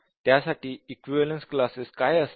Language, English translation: Marathi, So, what will be the equivalence classes